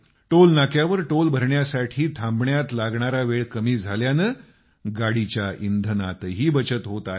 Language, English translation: Marathi, Due to this reduced waiting time at the Toll plaza, fuel too is being saved